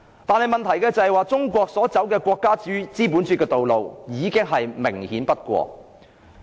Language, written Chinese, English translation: Cantonese, 但問題是，中國走國家資本主義的道路已明顯不過。, However the direction of China towards state capitalism is there for all to see